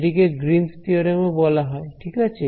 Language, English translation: Bengali, It is also called Greens theorem ok